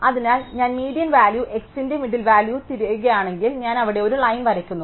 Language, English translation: Malayalam, So, I just look for the median value or the value at the middle of x, I draw a line there